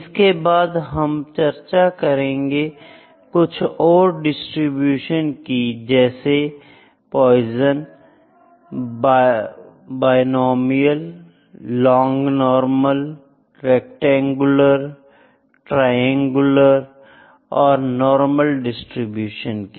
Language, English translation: Hindi, Then I will discuss a few distributions Poisson and binomial distributions, the log normal, rectangular, triangular and normal distribution